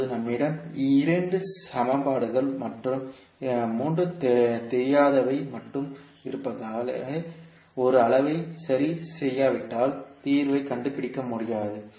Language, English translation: Tamil, Now as we have only 2 equations and 3 unknowns we cannot find the solution, until unless we fix one quantity